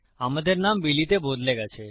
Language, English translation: Bengali, Our name has changed to Billy